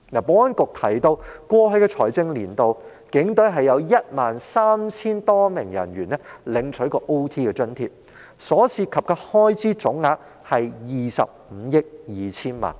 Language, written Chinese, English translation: Cantonese, 保安局曾提到在過去的財政年度，有 13,000 多名警隊人員曾領取加班津貼，所涉及的開支總額為25億 2,000 萬元。, According to the Security Bureau overtime allowance was granted to over 13 000 police officers in the last financial year involving a total expenditure of 2.52 billion